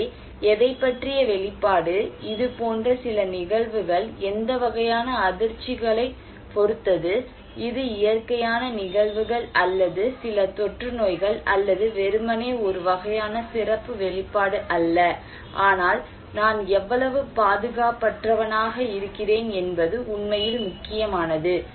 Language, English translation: Tamil, So, exposure to what, some shock or some events like it depends on what kind of shocks, is it natural phenomena or some epidemics or not merely a kind of special exposure but how defenseless like I am for that one